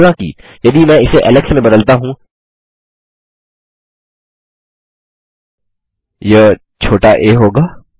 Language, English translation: Hindi, However if I change this to alex, that will be a small a